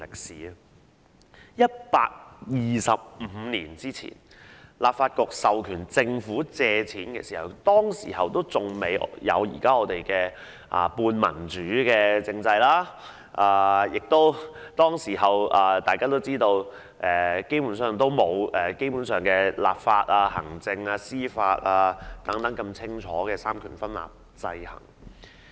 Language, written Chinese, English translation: Cantonese, 在125年前當立法局授權政府借款時，還未有現時的半民主政制，而大家亦知道當時基本上並無清晰的立法、行政和司法三權分立，互相制衡。, When the Legislative Council authorized the government to make borrowings 125 years ago the current semi - democratic political regime had not come into existence yet and we also know that there was basically no clear separation of the executive legislative and judicial powers to maintain checks and balances among one another back then